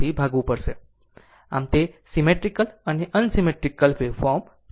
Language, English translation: Gujarati, So now, next is that symmetrical and unsymmetrical wave forms